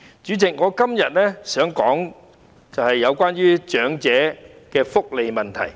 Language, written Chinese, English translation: Cantonese, 主席，我今天想說的是有關於長者的福利問題。, President today I would like to talk about issues related to elderly welfare